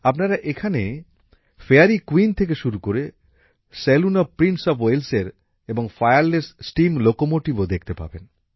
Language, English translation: Bengali, You can also find here,from the Fairy Queen, the Saloon of Prince of Wales to the Fireless Steam Locomotive